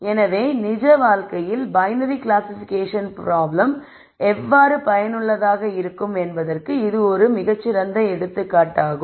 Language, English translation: Tamil, So, this is one example of how a binary classification problem is useful in real life